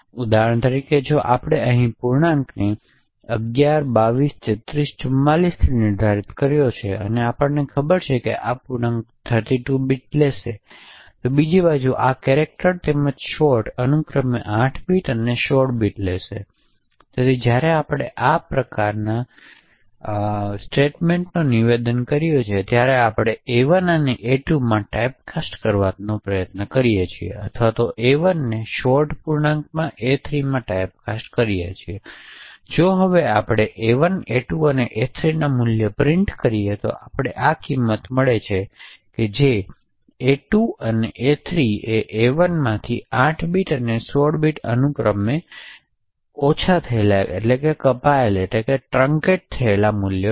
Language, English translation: Gujarati, So, for example if we have defined an integer over here and initialised it to 11223344 what we do know is that this integer will take will occupy 32 bits on the other hand this character as well as the short would occupy 8 bits and 16 bits respectively, so therefore when we actually have statements such as this where we try to typecast a1 to this character a2 or typecast a1 to the short int a3 it would result in truncation, so if we now print the values of a1, a2 and a3 we will get this values